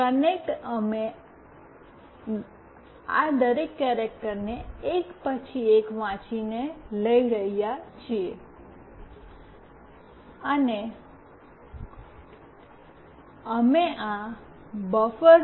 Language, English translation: Gujarati, concat, we are taking each of this character one by one reading it, and we are concatenating in this buffer